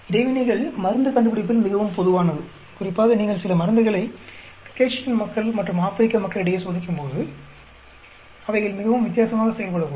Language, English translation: Tamil, Interactions are very common especially in drug discovery, you are testing some drugs on a Caucasian population vis a vis African population, they may perform very differently